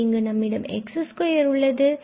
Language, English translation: Tamil, So, we have 2 over 5 and x power 4